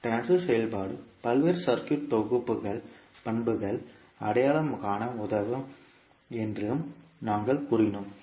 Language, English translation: Tamil, And we also said that the transfer function will help in identifying the various circuit syntheses, properties